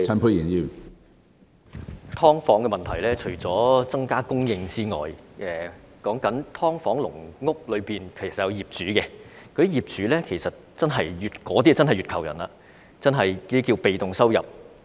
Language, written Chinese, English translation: Cantonese, 關於"劏房"問題，除了增加房屋供應之外，"劏房"和"籠屋"其實也有業主，他們是不折不扣的"月球人"，被動收入可觀。, With regard to the problem of subdivided units talking about increasing housing supply subdivided units and caged homes have their owners some of whom make handsome passive income of as much as 1 million a month